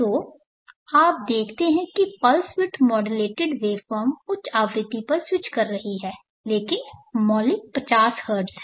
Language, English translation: Hindi, So you see the pulse width modulated waveform is switching at high frequency, but the fundamental is 50 Hertz